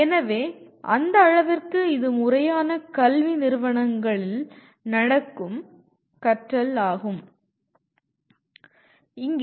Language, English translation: Tamil, So to that extent it is intentional learning that happens in formal educational institutions